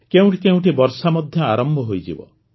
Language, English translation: Odia, It would have also start raining at some places